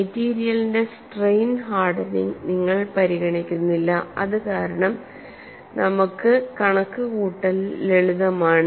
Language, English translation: Malayalam, You do not consider any strain hardening of the material, because this is simple for us to do the calculation